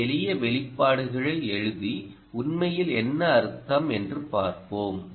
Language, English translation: Tamil, lets put down some simple expressions and see actually what it means